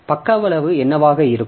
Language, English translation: Tamil, What can be the page size